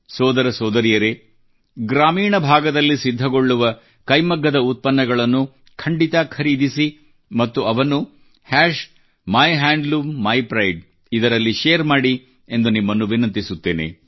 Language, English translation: Kannada, I urge you my dear brothers and sisters, to make it a point to definitely buy Handloom products being made in rural areas and share it on MyHandloomMyPride